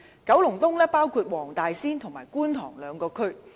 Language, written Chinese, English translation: Cantonese, 九龍東包括黃大仙和觀塘兩個地區。, Kowloon East comprises the two districts of Wong Tai Sin and Kwun Tong